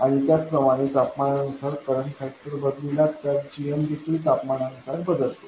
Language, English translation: Marathi, And similarly as current factor changes with temperature GM will change with temperature